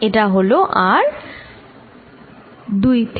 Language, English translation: Bengali, This is r from 2 to 1